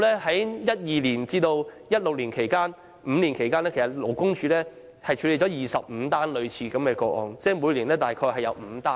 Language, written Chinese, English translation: Cantonese, 在2012年至2016年期間，勞工處5年內處理了25宗類似個案，即平均每年大約5宗。, LD handled 25 cases of similar nature in the five years between 2012 and 2016 . In other words it dealt with an average of about five cases per year